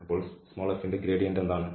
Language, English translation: Malayalam, So, what is the gradient of f